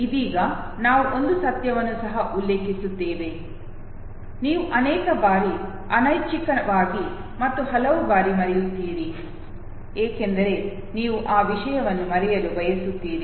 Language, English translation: Kannada, Right now we will also refer to one fact that many times you forget okay, involuntarily and many times you forget, because you want to forget that thing